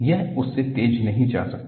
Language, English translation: Hindi, It cannot go faster than that